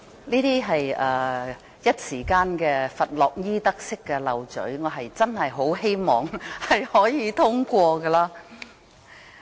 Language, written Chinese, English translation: Cantonese, 這只是佛洛伊德式說漏咀，我真的希望議案可以獲得通過。, This is only a Freudian slip; I really hope that the motion could be passed